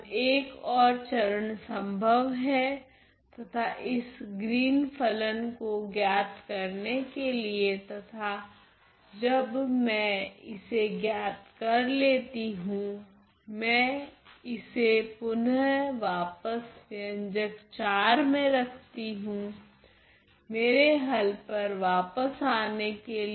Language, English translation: Hindi, Now what I can do one there is one more step that can that is possible and that is to evaluate this Green’s function and once I evaluate I put it back in this expression IV to come to my solution